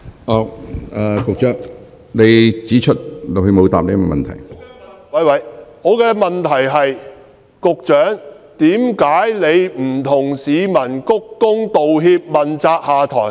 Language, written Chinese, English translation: Cantonese, 我的補充質詢是：為何局長不向市民鞠躬道歉，問責下台？, My supplementary question is Why has the Secretary not bowed and apologized to members of the public taken the responsibility and stepped down?